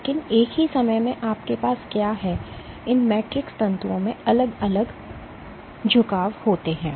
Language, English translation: Hindi, But at the same time what you also have is these matrix fibers have different orientations